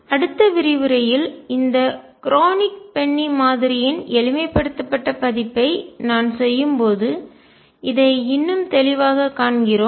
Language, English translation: Tamil, We see it more clearly in the next lecture when I do a simplified version of this Kronig Penney Model